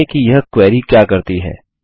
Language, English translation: Hindi, Explain what this query does